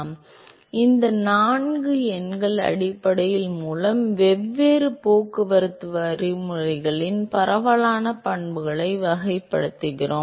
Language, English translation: Tamil, So, these four numbers essentially characterize the diffusive properties of all three different transport mechanisms